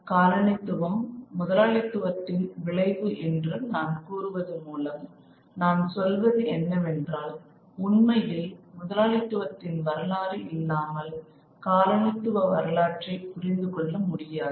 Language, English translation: Tamil, When I say colonialism is a consequence of capitalism, what I mean is really that the history of colonialism cannot be understood without the history of capitalism and indeed vice versa